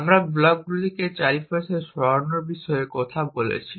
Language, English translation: Bengali, You know we already talked about blocks world, moving blocks around